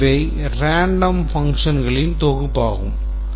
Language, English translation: Tamil, So, these are random set of functions